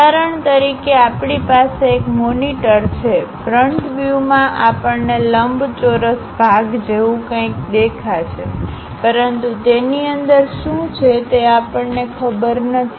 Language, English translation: Gujarati, For example, we have a monitor, at front view we will see something like a rectangular portion; but inside what it is there we do not know